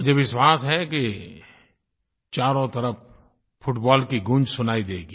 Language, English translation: Hindi, I am sure reverberations of the spirit of football will be heard all around